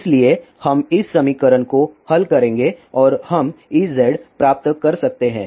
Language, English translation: Hindi, So, we will solve this equation and we can get E z